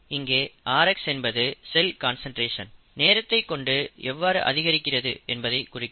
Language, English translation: Tamil, The rx is nothing but the time rate at which the cell concentration increases, okay